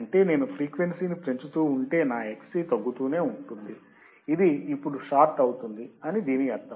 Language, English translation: Telugu, That means that if I keep on increasing the frequency, my Xc will keep on decreasing and that means, that it is considered now as a shorted